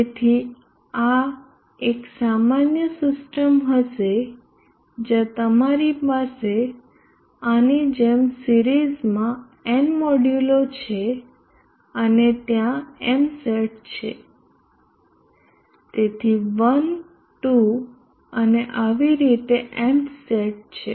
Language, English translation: Gujarati, So this will be a generic system where you have n modules in series like this and there are M sets so is 1, 2 so on M set